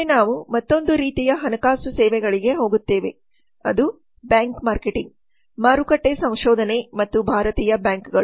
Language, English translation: Kannada, next we go to another type of financial services which is very important which is bank marketing market research and Indian banks